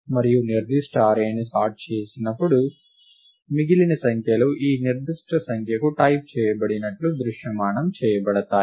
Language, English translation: Telugu, And when a certain array is being sorted, the remaining numbers are visualized as being typed to this particular number